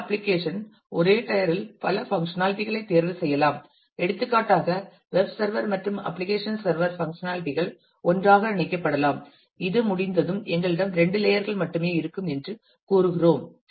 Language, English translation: Tamil, And some applications may choose to have multiple functionality in the same layer for example, web server and application server functionality could be clubbed together and when this is done we say that we will then we have only two layers